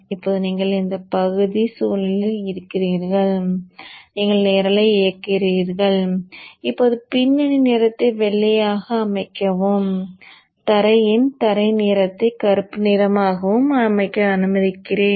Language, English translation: Tamil, Now you are into the Engie Spice environment you have you ran the program and now let me set the background color to white and set the foreground color to black